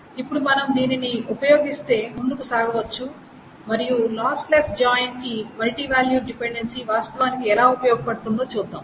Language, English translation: Telugu, So now if we use this then we can move ahead and see how multivalued dependency is actually useful for a lossless join